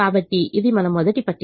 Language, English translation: Telugu, so this is our first table